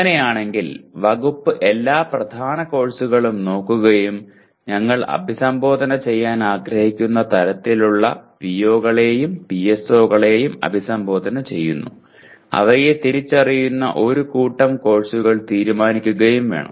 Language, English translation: Malayalam, In that case, the department will have to look at all the core courses and decide a set of identified courses will have to address our the whatever we want the kind of POs and PSOs we want to address